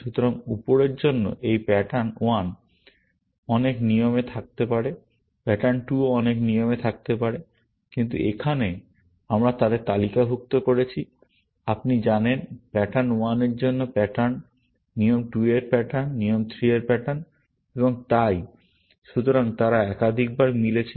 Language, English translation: Bengali, So, for the upper, this pattern 1 may be there in many rules; pattern 2 may be there in many rules, and so on, but here, we have listed them as, you know; patterns of rule 1; patterns of rule 2; patterns of rule 3; and so on